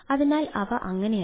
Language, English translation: Malayalam, nevertheless, this is